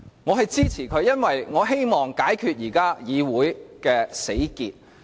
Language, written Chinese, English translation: Cantonese, 我支持他，是因為我希望解開現時議會的死結。, I give him my support as I would like to break the current impasse in this Council